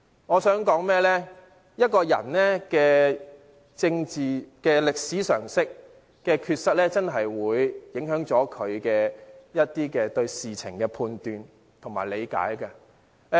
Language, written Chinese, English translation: Cantonese, 我想說的是，一個人對政治歷史常識的缺失確實會影響他對事情的判斷和理解。, What I want to say is that if a person lacks general knowledge in politics and history his judgment and understanding would be affected